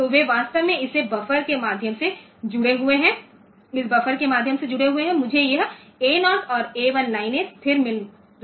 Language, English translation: Hindi, So, they are actually connected to this through this buffer, through this buffer, I am getting this A 0 and A 1 lines stable